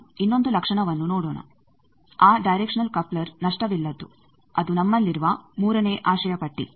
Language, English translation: Kannada, Let us see another property that directional coupler is lossless that is the third wish list we have